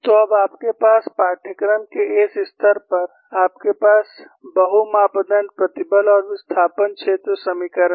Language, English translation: Hindi, So, now you have, at this level of the course, you have multi parameter stress and displacement field equations